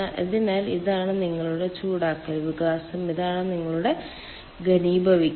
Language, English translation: Malayalam, so this is your heating expansion and this is your condensation